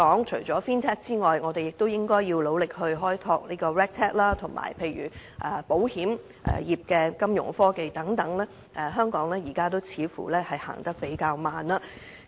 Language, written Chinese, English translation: Cantonese, 除了 Fintech 外，我們亦應該努力開拓 Regtech， 以及保險業的金融科技等，在這方面，似乎香港現時也走得較慢。, Fintech aside we should also make an effort to develop Regtech and also financial technology in the insurance industry . In this respect Hong Kong seems to be making rather slow progress